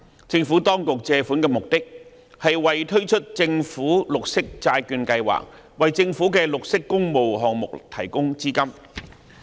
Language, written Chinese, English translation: Cantonese, 政府當局借款的目的是為推出政府綠色債券計劃，為政府的綠色工務項目提供資金。, The purpose of the borrowings made by the Administration is to launch a Government Green Bond Programme to provide funding for green public works projects of the Government